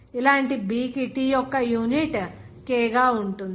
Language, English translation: Telugu, Similar B has unit of T that is K